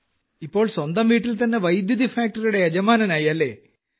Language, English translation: Malayalam, Now they themselves have become the owners of the electricity factory in their own houses